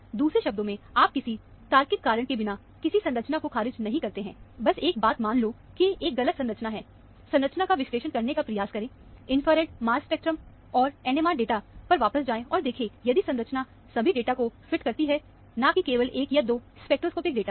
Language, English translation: Hindi, In other words, you do not rule out any structure without any logical reason; just a, do not assume, that is a wrong structure; try to analyze the structure; get back to the infrared, mass spec and the NMR data, and see, if the structure fits all the data, not just 1 or 2 spectroscopic data